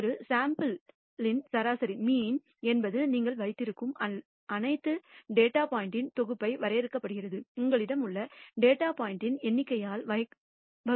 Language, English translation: Tamil, The mean of a sample is defined as the summation of all the data points that you obtain divided by the number of datapoints that you have